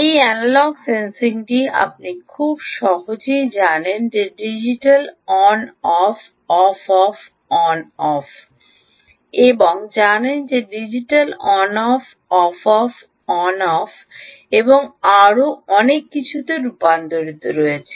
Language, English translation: Bengali, this analogue sensing is, ah, nicely, ah, you know, converted into a digital on off, on off, on off and so on